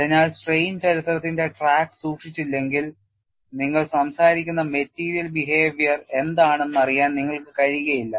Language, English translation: Malayalam, So, unless you keep track of the strain history, it is not possible for you to know what is the aspect of the material behavior, you are talking about